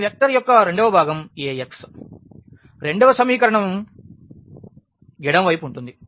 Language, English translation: Telugu, The second component of this vector A x will be the left hand side of the second equation and so on